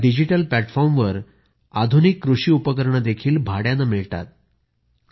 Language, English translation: Marathi, Modern agricultural equipment is also available for hire on this digital platform